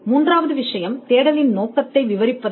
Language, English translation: Tamil, The third thing is to describe the scope of the search